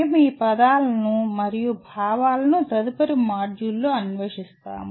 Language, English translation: Telugu, We explore these words and this concept in the following module